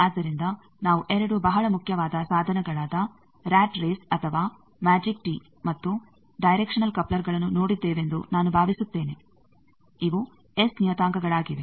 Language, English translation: Kannada, So, I think that we have seen, very 2 important devices rat race or magic tee and directional coupler they is, S parameter